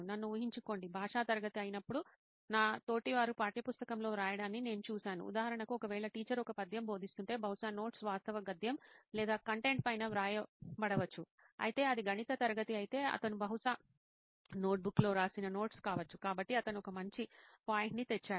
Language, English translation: Telugu, Imagine I am, I have seen my peers writing on the textbook when it is a language class; for example if it is, if the teacher is teaching a poem then probably the notes would be jotted down on top of the actual prose or the content whereas if it is a maths class he will probably have it is notes right written on a notebook, so he has brought out a good point